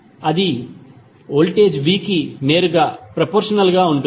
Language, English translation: Telugu, That would be directly proposnal to voltage V